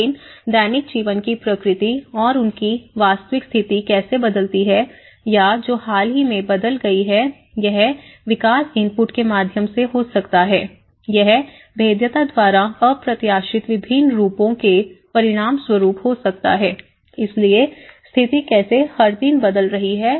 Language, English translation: Hindi, But the nature of the daily life and how their actual situation changes or which may have changed very recently, it could be through the development input, it could be by the vulnerability as a result of the unexpected different forms of vulnerability, so how a situation is changing every day